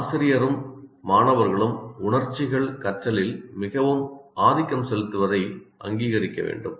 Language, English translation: Tamil, And the teacher and the students have to recognize emotions play a very dominant role in the learning